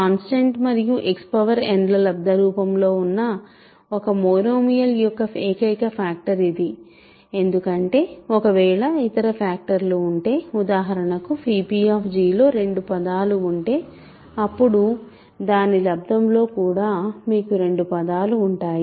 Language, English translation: Telugu, This is the only possible factorization of a monomial of the form a constant times X power n because if there is any other factorization that means, if for example, phi p g has two terms then in the product also you will have two terms